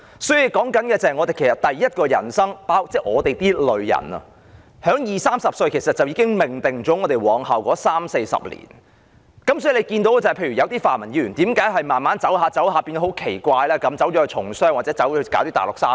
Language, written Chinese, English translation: Cantonese, 所以，我們的第一人生，是在二三十歲時便已經命定了往後的三四十年，正如為何有些泛民議員慢慢發展下去時會很奇怪地從商或到內地做生意呢？, So our first life is that when we are in our 20s or at around 30 our fate in the next three or four decades is already destined . For instance why have some pan - democratic Members strangely become businessmen or switched to doing business in the Mainland as they gradually move forward in life?